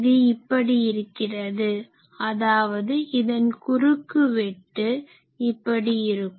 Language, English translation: Tamil, So, it looks like this; that means, cross section of this looks like this